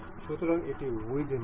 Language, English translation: Bengali, So, this is width mate